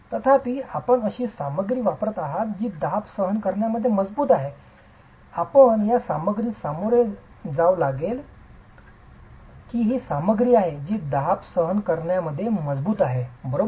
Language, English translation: Marathi, However, given the fact that you are using a material which is strong in compression, you are going to have to deal with the fact that this is a material which is strong in compression